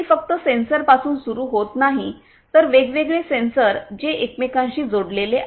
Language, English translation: Marathi, It starts with the sensors not just the sensors the sensors which are connected inter connected with one another